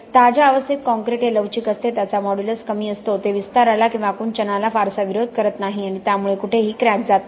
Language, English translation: Marathi, In a fresh state, concrete is still pliable, it has got a low modulus, it does not resist expansion or contraction much so it does not crack